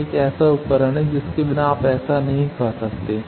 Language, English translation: Hindi, This is a device without which you cannot find that